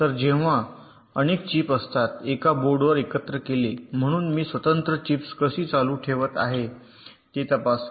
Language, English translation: Marathi, so when several chips are assembled on a board, so how do i test the individual chips, why they are designing on the board